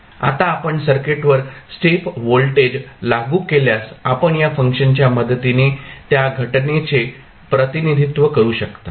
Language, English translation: Marathi, Now, if you apply step voltage to the circuit; you can represent that phenomena with the help of this function